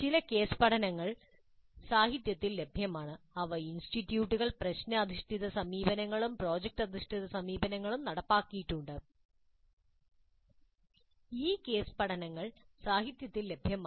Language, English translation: Malayalam, Certain case studies are available in the literature where the institutes have implemented problem based approaches as well as product based approaches and these case studies are available in the literature